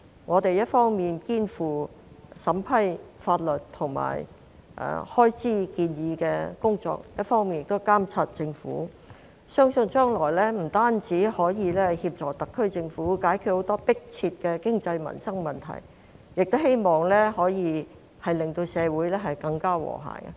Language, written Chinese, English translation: Cantonese, 我們一方面肩負審批法律和開支建議的工作，另一方面亦會監察政府，相信將來不單可以協助特區政府解決很多迫切的經濟民生問題，亦可以令社會更加和諧。, It is believed that by executing our functions of vetting and approving legislative and funding proposals on the one hand and monitoring the Governments performance on the other we will be able to not only assist the SAR Government in tackling many pressing economic and livelihood issues but also foster a more harmonious society